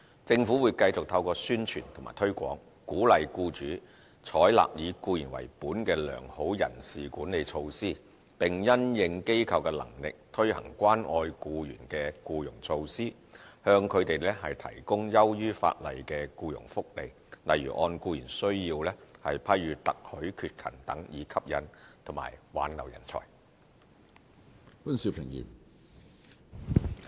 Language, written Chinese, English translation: Cantonese, 政府會繼續透過宣傳及推廣，鼓勵僱主採納"以僱員為本"的良好人事管理措施，並因應機構的能力，推行關愛僱員的僱傭措施，向他們提供優於法例的僱傭福利，例如按僱員需要批予特許缺勤等，以吸引及挽留人才。, The Government will continue to encourage through promotion and publicity employers to adopt employee - oriented good personnel management practices introduce employee - caring employment measures and to provide employees with benefits above the statutory requirements such as provision of authorized absence based on individual employees needs according to their establishments capabilities so as to attract and retain talents